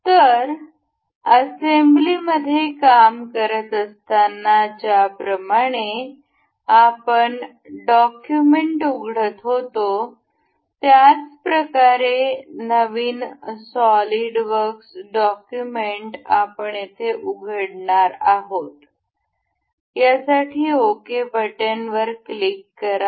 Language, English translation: Marathi, So, we will go by new in the same way we will open a new solidworks document that is we will work on assembly, click ok